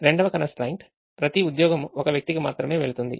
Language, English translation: Telugu, the second set of constraint says: for every job, it will go to only one person